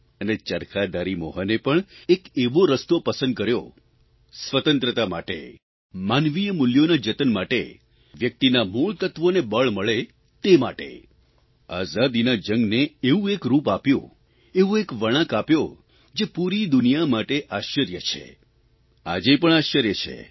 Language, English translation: Gujarati, And spinningwheel bearing Mohan too chose a similar path, for the sake of Freedom, for preserving human values, for strengthening the basic elements of personality & character for this he lent a certain hue to the Freedom struggle, a turn, that left the whole world awe struck, which it still remains today